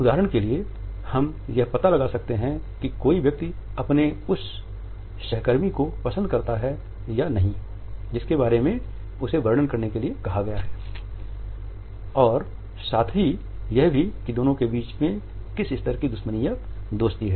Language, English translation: Hindi, For example, we could make out whether a person likes the colleague whom he or she has been asked to describe or not or what type of animosity or what level of friendship might exist between the two